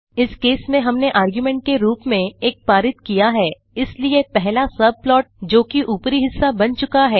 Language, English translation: Hindi, In this case we passed 1 as the argument, so the first subplot that is top half is created